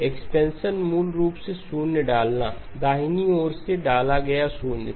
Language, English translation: Hindi, Expansion basically inserted zeros right inserted zeros